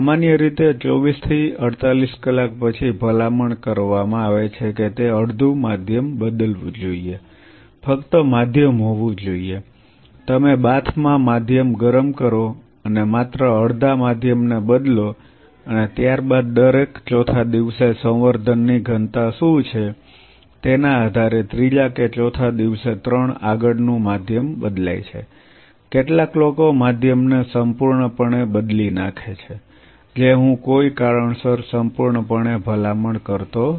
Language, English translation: Gujarati, Generally, it is recommended after 24 to 48 hours it should change half the medium, just have the medium, you warm the medium in a bath and just replace half the medium and followed by that at every fourth depending on what is the density of culture third or fourth day change three forth medium, some people completely change the medium which I not fully recommend for a reason because the cells secrete lot of factors which are helpful for their survival